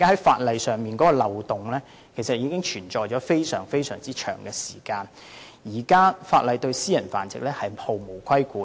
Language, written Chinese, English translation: Cantonese, 法例上的漏洞已經存在多時，現時法例亦對私人繁殖毫無規管。, The legal loopholes have existed for a long time and the existing laws fail to regulate private breeding